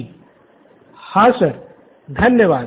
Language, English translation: Hindi, Yeah sir, thank you